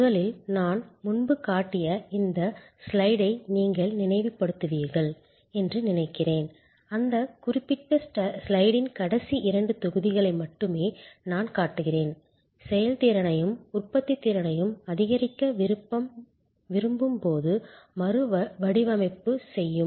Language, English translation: Tamil, First, I think you will recall this slide which I had shown earlier, I am only showing the last two blocks of that particular slide, that in process redesign when we want to increase efficiency and productivity